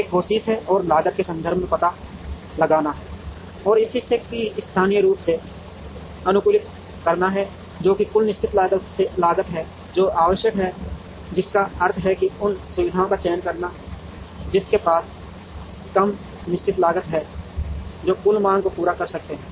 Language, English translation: Hindi, One is to try and find out in terms of cost that is to try and locally optimize this portion, which is the total fixed cost that is required, which means to choose facilities that have lower fixed cost that together can meet the total demand